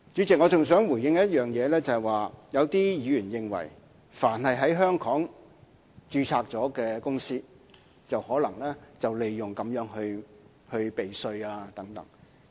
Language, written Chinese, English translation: Cantonese, 主席，我還想回應一點，有議員認為凡是在香港註冊的公司，就可能會利用《條例草案》避稅。, Chairman I would also like to respond to one more point . Some Members consider that it would be possible for any companies registered in Hong Kong to take advantage of the Bill and engage in tax avoidance practices